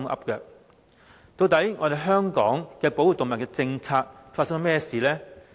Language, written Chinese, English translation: Cantonese, 究竟香港的動物保護政策發生了甚麼事？, What has gone wrong with Hong Kongs animal protection policy?